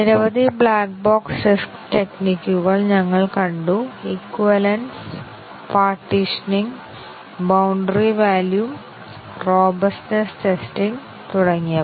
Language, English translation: Malayalam, And we had seen several black box test techniques – equivalence, partitioning, boundary value, robustness testing and so on